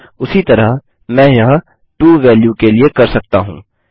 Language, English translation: Hindi, Similarly I can do that for the To value